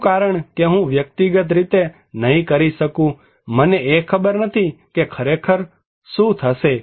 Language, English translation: Gujarati, which one because I cannot being an individual, I do not know that what will actually happen